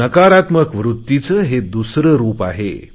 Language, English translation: Marathi, This is another form of negativity